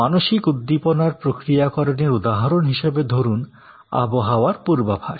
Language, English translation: Bengali, So, mental stimulus processing is for example, weather forecast